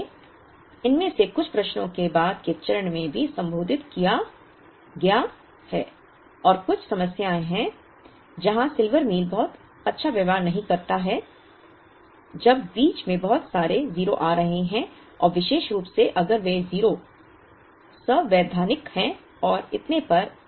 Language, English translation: Hindi, So, some of these questions have also been addressed in the later step and there are some problems instances where, Silver Meal does not behave extremely well when there are too many 0s coming in the middle and particularly if those 0s are constitutive and so on